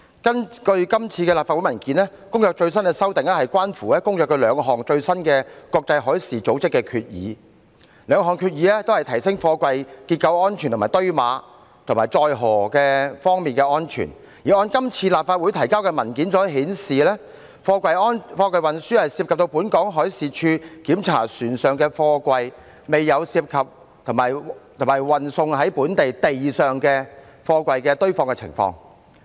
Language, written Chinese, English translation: Cantonese, 根據今次立法會的文件，《公約》的最新修訂關乎《公約》兩項最新的國際海事組織決議，該兩項決議均會提升貨櫃結構、堆碼及載荷方面的安全，而按今次立法會提交的文件顯示，貨櫃運輸涉及到本港海事處檢查船上貨櫃，卻未有涉及在本地陸上運輸貨櫃堆放的情況。, According to the Legislative Council Brief the latest amendments to the Convention were arisen from two latest International Maritime Organization IMO resolutions which seek to enhance the structural safety of containers and the safety in the stacking and loading of containers . According to the same Legislative Council Brief the transport of containers involves the on board inspection to be carried out by the Marine Department but it does not involve the stacking of freight containers on land in Hong Kong